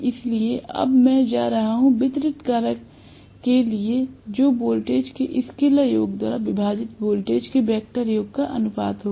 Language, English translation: Hindi, So, I am going to have now the distribution factor will be the ratio of the vector sum of the voltages divided by the scalar sum of the voltages